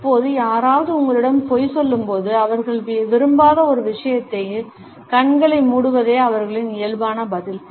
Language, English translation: Tamil, Now, when somebody is lying to you, their natural response is to cover their eyes to something that they do not like